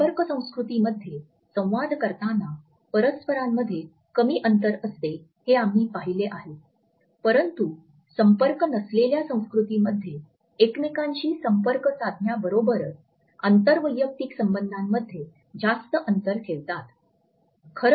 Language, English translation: Marathi, We have seen how contact cultures use a small interaction distances whereas, non contact cultures avoid these close inter personal distances as well as the frequent touching of each other